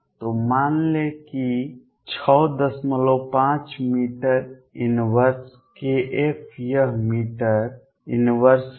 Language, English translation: Hindi, 5 meter inverse k f is this meter inverse